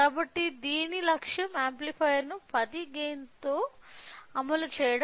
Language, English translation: Telugu, So, the goal of this is implementation of amplifier with a gain 10